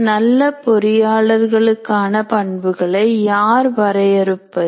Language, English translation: Tamil, Who defines the characteristics of a good engineer